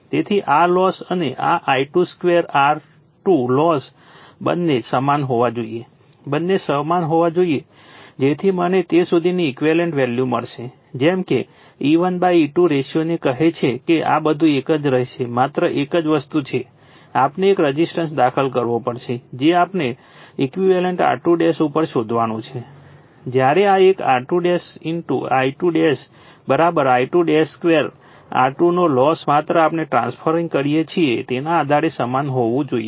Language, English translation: Gujarati, So, these loss and this I 2 square R 2 loss both has to be your equal both has to be equal such that I will get the value of equivalent up to that, such that your what you call thatyour E 1 by E 2 ratio everything will remain same only thing is that, we have to insert one resistance we have to find on equivalent is R 2 dash, right whereas the loss of this one R 2 dash into I 2 dash square is equal to I 2 square R 2 this has to be same based on that only we transfer, right